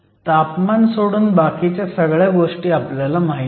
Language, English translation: Marathi, So, everything else is known except for the temperature